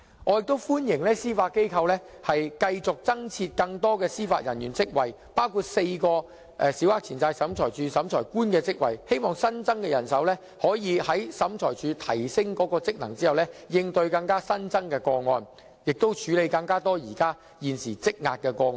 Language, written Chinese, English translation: Cantonese, 我亦歡迎司法機構繼續增設更多司法人員職位，包括4個審裁處審裁官的職位，希望新增的人手在審裁處提升職能後可應對新增的個案，以及處理現時積壓的個案。, I also welcome the Judiciarys proposal on continuing to recruit more judicial officers including four Adjudicators in SCT . I hope the additional manpower can cope with the rising number of cases following the enhancement of SCTs powers and functions and tackle the existing case backlog